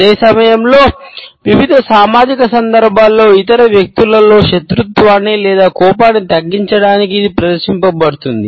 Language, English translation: Telugu, At the same time you would find that on various social occasions, it is displayed to lower the hostility or rancor in other people